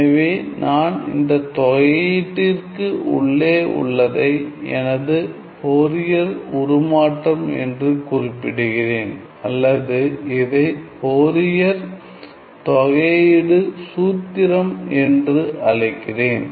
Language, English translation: Tamil, So, I am going to denote this thing inside this integral as my Fourier transform or I call this as my Fourier integral formula, which is what I will be using for my Fourier transform